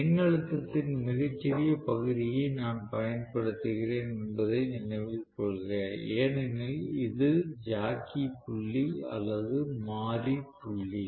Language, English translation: Tamil, Please note I am applying a very small portion of the voltage because, this is the jockey point or the variable point